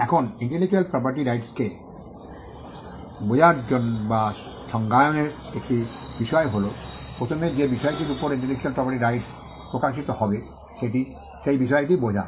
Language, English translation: Bengali, Now, one of the things in understanding or in defining intellectual property right, is to first understand the subject matter on which the intellectual property right will manifest itself on